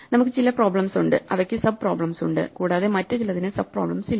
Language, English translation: Malayalam, We have some problems which have sub problems, and some other problems which have no sub problems